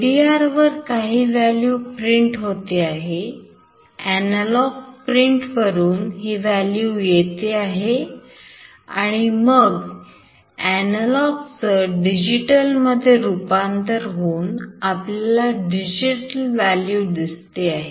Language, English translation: Marathi, This is printing some value from LDR; it is getting some value from the analog pin, and after analog to digital conversion it is showing the digital value